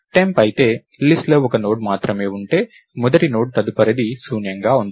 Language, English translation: Telugu, If temp, if there is only one node in the list, then the first node's next will be null